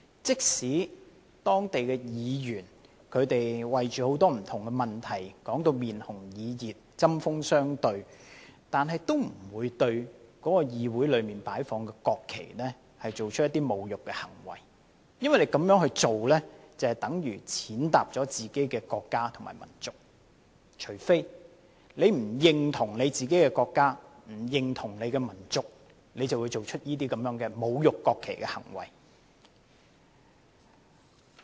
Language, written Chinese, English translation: Cantonese, 即使當地議員為很多不同議題吵得面紅耳熱，針鋒相對，但都不會對議會內擺放的國旗作出侮辱的行為，因為這樣做便等於踐踏自己的國家和民族——你不認同自己的國家和民族，才會做出這種侮辱國旗的行為。, Even if the local council members have fierce debates and angry exchanges on various issues they will never do insulting acts to the national flags placed inside the councils because it is the same as trampling on their own countries and peoples―only when a person does not identify whit his own country and people that he commits such insulting acts to the national flag